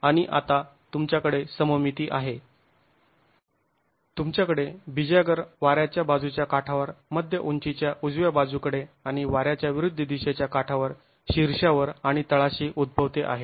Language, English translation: Marathi, And now you have the symmetry, you have the hinge occurring at the windward edge at the mid height and at the leeward edge at the top and the bottom